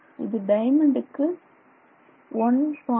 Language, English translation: Tamil, So, for diamond it is 1